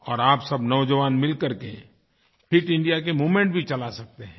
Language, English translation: Hindi, In fact, all you young people can come together to launch a movement of Fit India